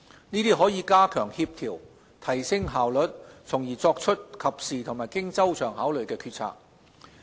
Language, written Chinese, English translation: Cantonese, 這樣可加強協調、提升效率，從而作出及時和經周詳考慮的決策。, The proposal will bring about better coordination higher efficiency and thus is conducive to making timely and thoroughly considered decisions